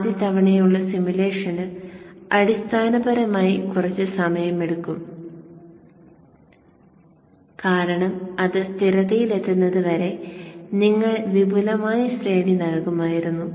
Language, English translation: Malayalam, The first time simulation will take quite some time basically because you would have given an extended range till it reaches steady state